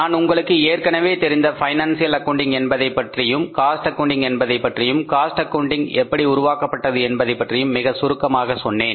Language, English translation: Tamil, So I told you very briefly that the financial accounting which you already know and the cost accounting, how the cost accounting has developed